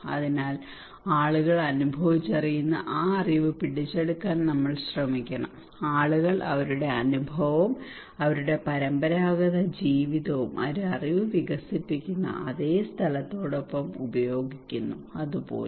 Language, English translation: Malayalam, So we should try to grab that knowledge people experience, people use their experience and their traditional living with the same place that develop a knowledge and that that can even